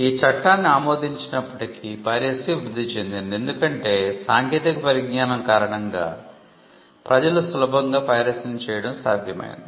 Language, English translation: Telugu, Despite passing this law piracy flourished there were instances because of the technology that allowed people to print easily piracy flourished